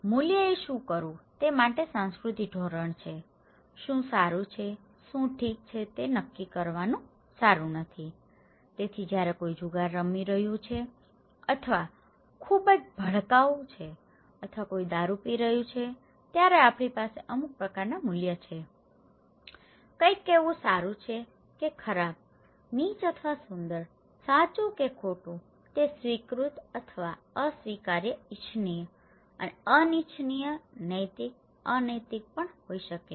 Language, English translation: Gujarati, Values are culture standard for what to do, what is good, what is not good to decide okay, so when somebody is gambling or somebody is very flamboyant or somebody is taking alcohol, we have some kind of values, somebody saying is good or bad, ugly or beautiful, right or wrong, it could be also kind of accepted or unaccepted, desirable and undesirable, ethical unethical